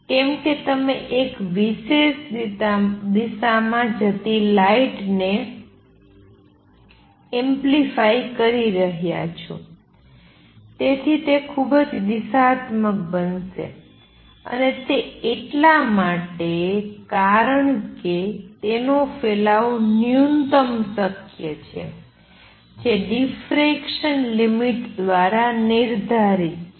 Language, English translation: Gujarati, Why because you are amplifying the light going in one particular direction, so it is going to be highly directional and also it is so because its spread is minimum possible that is set by the diffraction limit